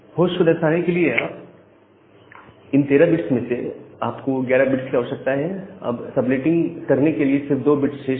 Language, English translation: Hindi, And out of the 13 bit if you require 11 bits to denote a host, only 2 bits are required for, only 2 bits are remaining for doing the subnetting